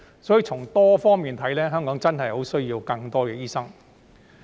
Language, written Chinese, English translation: Cantonese, 所以，從多方面來看，香港真的十分需要更多醫生。, Therefore judging from various perspectives Hong Kong is really in dire need of more doctors